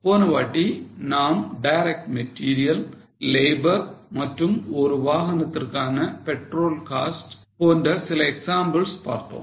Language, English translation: Tamil, Last time we had seen some examples like direct material, direct labor or petrol cost for a vehicle